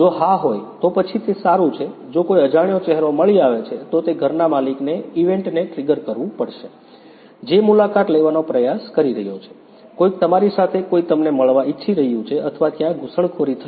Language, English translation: Gujarati, If it is yes, then its fine; if some unknown face is found, then it has to trigger an event to the owner of the house that someone is trying to visit, someone either someone is visiting you or there is an intrusion